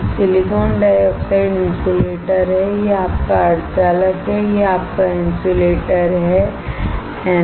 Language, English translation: Hindi, Silicon dioxide is insulator this is your semiconductor this is your insulator, right